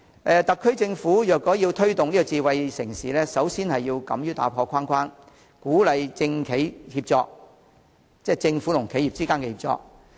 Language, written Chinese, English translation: Cantonese, 特區政府若要推動智慧城市，首先要敢於打破框框，鼓勵政府和企業之間的協作。, If the SAR Government wants to promote a smart city it should first dare to think outside the box and encourage government - business cooperation